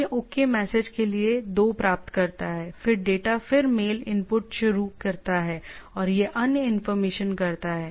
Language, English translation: Hindi, It is received 2 for this OK message, then the data then start mail input and go on doing these other information